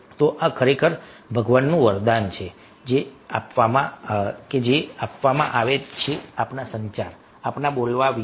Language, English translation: Gujarati, so this is really a boon of God that, if which is given means about our communication, about our speaking